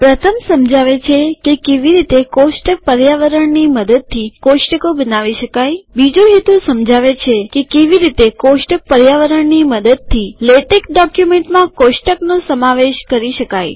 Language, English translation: Gujarati, The first is to explain how to create tables using the tabular environment the second objective is to explain how to include tables in latex documents using the table environment